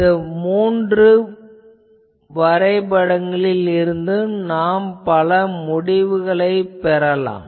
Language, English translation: Tamil, Now, from these three graphs, I am again showing these, we can draw several conclusions